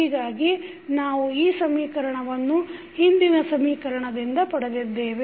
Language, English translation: Kannada, So, we got this equation from the previous equation